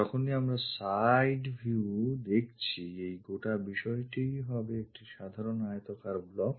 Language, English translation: Bengali, When we are looking side view, this entire thing turns out to be a simple rectangular block